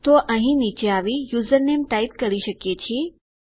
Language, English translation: Gujarati, So we can just come down here and type username now